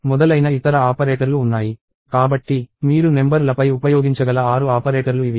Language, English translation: Telugu, So, these are the six operators that you can use on numbers